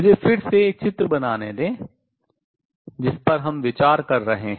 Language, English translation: Hindi, Let me again make a picture what we are considering